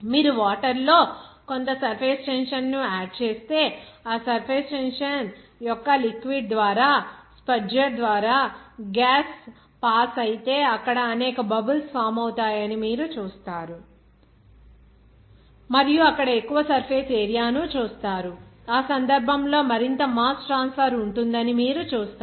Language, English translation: Telugu, If you add some surface tension in water, you will see if you pass the gas through the spudger through this liquid of that surface tension you will see that there will be a number of bubbles will form and there are you will see that more surface area will be formed in that, in that case, you will see that there will be a more mass transfer